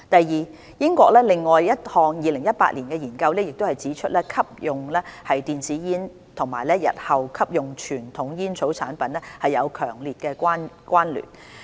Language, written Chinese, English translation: Cantonese, 二英國另一項2018年的研究已指出吸用電子煙與日後吸用傳統煙草產品有強烈關聯。, 2 Another study conducted in the United Kingdom in 2018 revealed that there was a strong connection between the use of e - cigarettes and subsequent use of conventional tobacco products